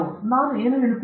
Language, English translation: Kannada, You get what I am saying